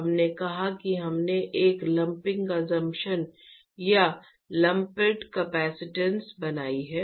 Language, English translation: Hindi, We said that we made a lumping assumption or lumped capacitance